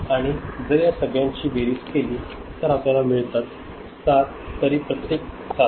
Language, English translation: Marathi, And if you sum it up it will you will get 7